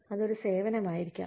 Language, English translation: Malayalam, It could be a service